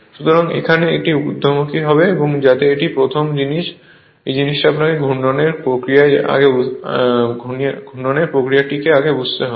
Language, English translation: Bengali, So, here it is upward, so that that is the first thing this thing you have to understand before that mechanism of rotation